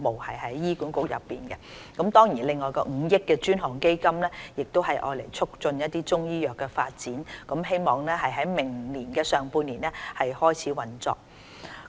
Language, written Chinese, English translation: Cantonese, 此外，政府亦已設立5億元專項基金以促進中醫藥發展，希望在明年上半年開始運作。, Moreover the Government has also established a 500 million dedicated fund which is expected to commerce operation in the first half of next year for promoting Chinese medicine development